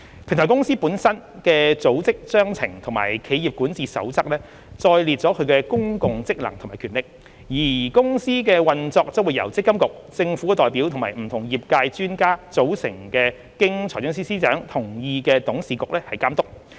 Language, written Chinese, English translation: Cantonese, 平台公司本身的《組織章程》和企業管治守則載列其公共職能及權力，而公司的運作將由積金局、政府代表及不同業界專家組成及經財政司司長同意的董事局監督。, The public functions and powers of the Platform Company are set out in its own Articles of Association and corporate governance code whereas the operation of the Platform Company will be overseen by the Board of Directors with representatives from MPFA and the Government and experts from the industry which has the consent of the Financial Secretary